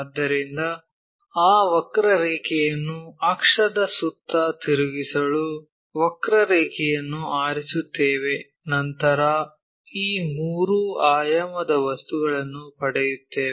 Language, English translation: Kannada, So, you pick a curve rotate that curve around an axis, then we will get this three dimensional objects